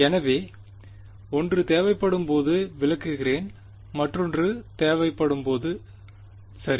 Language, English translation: Tamil, So, we I will explain when 1 is needed and when one when the other is needed ok